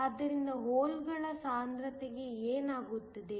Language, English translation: Kannada, So, what happens to the concentration of the holes